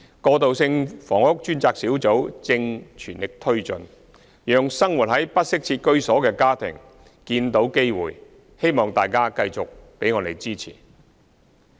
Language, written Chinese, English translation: Cantonese, 過渡性房屋專責小組正全力推進，讓生活在不適切居所的家庭見到機會，希望大家繼續給我們支持。, The task force on transitional housing is working at full steam to enable families living in inadequate housing to see opportunities . I hope Members will continue to give us support